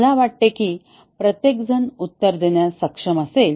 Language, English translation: Marathi, This I think all will be able to answer